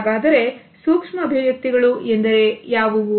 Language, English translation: Kannada, So, what are the micro expressions